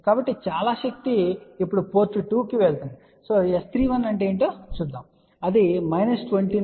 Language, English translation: Telugu, So, most of the power then goes to the port 2 now let us see what is S 3 1 it is about minus 29